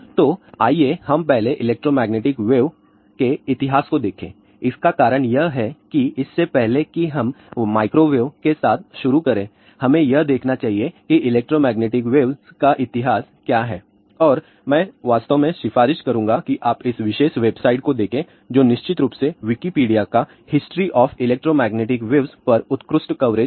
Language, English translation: Hindi, So, let us just look at the history of electromagnetic waves first the reason for that is that before we start with the microwave, we must look at what is the history of electromagnetic waves and I would actually recommend that you please see this particular website ah which is of course, Wikipedia excellent coverage is given on the history of electromagnetic waves